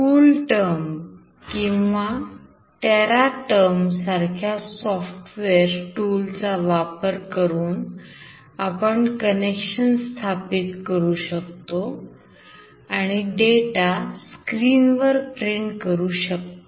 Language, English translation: Marathi, The software tool such as CoolTerm or Teraterm can be used to establish the serial communication and to print the data on the screen